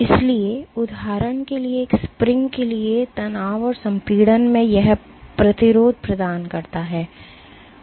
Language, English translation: Hindi, So, for a spring for example, the resistance it provides in tension and in compression is the same